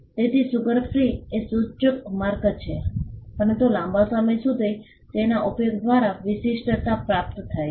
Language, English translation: Gujarati, So, sugar free is a suggestive mark, but it has attained distinctiveness by usage for a long period of time